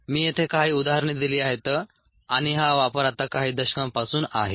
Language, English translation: Marathi, i have given a few examples here and this use has been for ah a few decades now